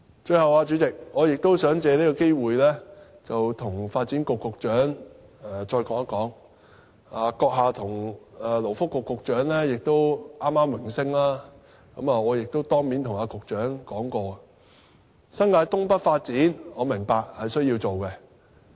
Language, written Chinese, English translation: Cantonese, 最後，主席，我想藉這個機會跟發展局局長說一說，閣下跟勞工及福利局局長剛剛榮升，我曾經當面跟局長說過，我明白新界東北發展需要進行。, Finally President I would like to take this opportunity to raise a point to the Secretary for Development . You and the Secretary for Labour and Welfare just get promoted . I once told the Secretary in person that I understand the need for the Development of North East New Territories